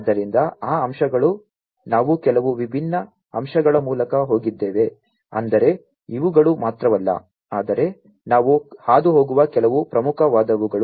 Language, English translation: Kannada, So, those aspects we have gone through some of the different aspects I mean these are not the only ones, but some of the important ones we have gone through